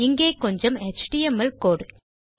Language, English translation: Tamil, So lets put some html code here